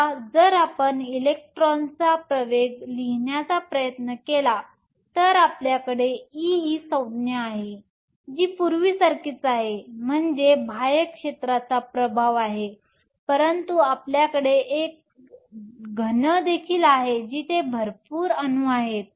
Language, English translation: Marathi, Now, if you try to write the acceleration of the electron, you have the term e E, which is the same as before, so that is the effect of the external field, but you also have a solid where you have a lot of atoms